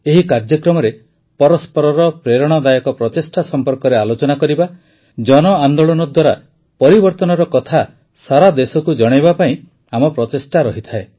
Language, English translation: Odia, In this program, it is our endeavour to discuss each other's inspiring efforts; to tell the story of change through mass movement to the entire country